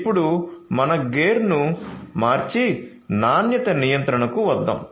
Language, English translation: Telugu, Now, let us switch our gear and come to quality control